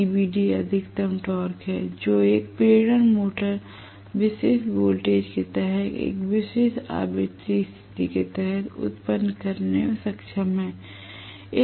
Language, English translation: Hindi, TBD is the maximum torque an induction motor is capable of generating under a particular voltage, under a particular frequency condition